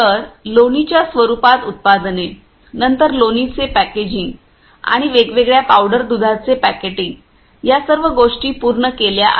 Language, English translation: Marathi, So, products in the form of butter, then packeting of butter and also packeting of the different you know powder milk all these things are done